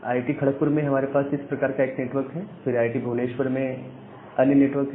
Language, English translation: Hindi, So, in IIT, Kharagpur we have this way one network, then in IIT, Bhubaneshwar there is another network